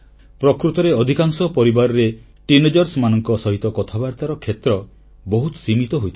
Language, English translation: Odia, In fact, the scope of discussion with teenagers is quite limited in most of the families